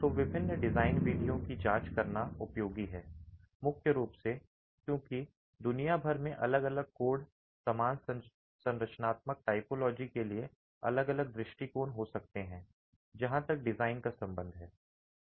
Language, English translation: Hindi, So, it's useful to examine the different design methods, primarily because different codes across the world for the same structural typology might have different approaches as far as design is concerned